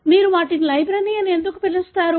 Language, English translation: Telugu, So, why do you call them as library